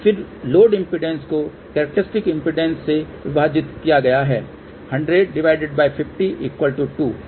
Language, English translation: Hindi, Then the load impedance divided by the characteristic impedance 100 by 50 will be equal to 2